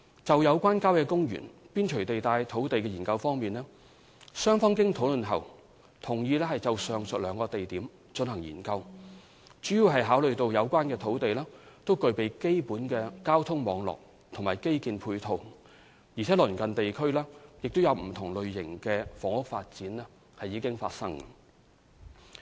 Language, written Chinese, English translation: Cantonese, 就有關郊野公園邊陲地帶土地的研究方面，雙方經討論後同意就上述兩個地點進行研究，主要是考慮到有關土地均具備基本的交通網絡和基建配套，而鄰近地區亦有不同類型的房屋發展。, As regards the studies on land on the periphery of country parks the aforesaid two areas were agreed as the study area mainly in consideration of the basic transport network and infrastructure facilities in these areas and the existence of different types of housing in the vicinity